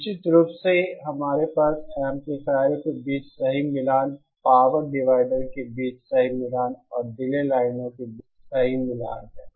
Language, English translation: Hindi, Provided of course we have perfect matching between the amplifiers, perfect matching between the power dividers and perfect matching between the delay lines